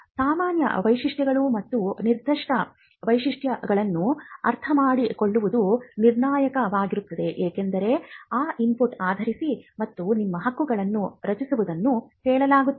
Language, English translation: Kannada, So, understanding the general features and the specific features will be critical, because based on that you will be using that input and drafting your claim